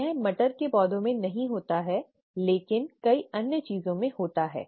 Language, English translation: Hindi, It does not happen in the pea plant but it happens in many other things